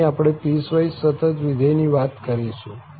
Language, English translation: Gujarati, Here, we will be talking on piecewise continuous function